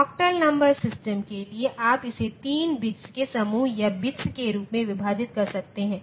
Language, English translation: Hindi, For octal number system you can divide it in terms of bits of groups of 3 bits